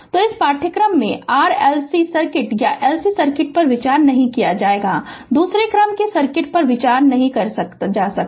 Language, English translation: Hindi, So, in this course we will not consider RLC circuit or LC circuit; that is second order circuit we will not consider